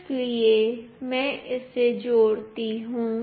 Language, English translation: Hindi, So, let me connect it